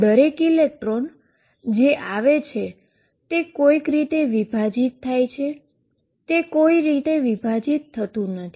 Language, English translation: Gujarati, What is happening is each electron that comes somehow gets divided it does not get divided it is wave gets divided